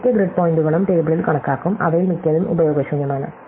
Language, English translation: Malayalam, It will have every grid point will be computed in the table even though most of them are useless